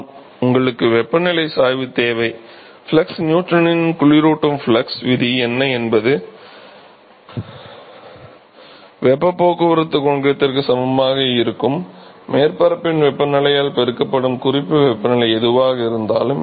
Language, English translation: Tamil, Yeah, you need a temperature gradient right flux what is the Newton’s law of cooling flux will be equal to heat transport coefficient multiplied by the temperature of the surface minus whatever is the reference temperature